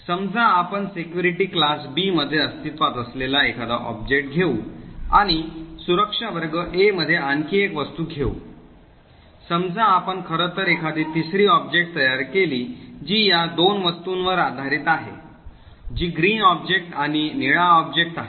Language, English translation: Marathi, Suppose let us say that we take a particular object present in security class B and take another object present in security class A, suppose we actually create a third object which is based on these two objects that is the green object and the blue object, so the join relation would define the security class for this third object